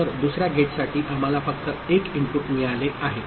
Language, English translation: Marathi, So, for the other gate we have got only one input